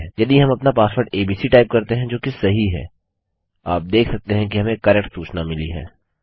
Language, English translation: Hindi, Now my password is abc so if I type Alex as my password, you can see we get an incorrect error message